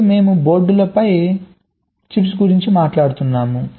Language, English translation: Telugu, it earlier we have talking about chips on the boards